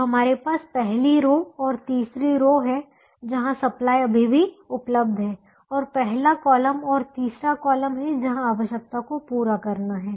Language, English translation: Hindi, so we have first row and third row where supplies are still available, and first column and third column where requirements have to be met